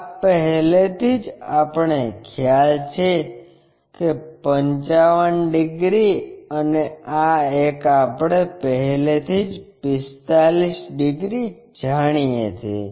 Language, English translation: Gujarati, This is already we know 55 degrees and this one already we know 45 degrees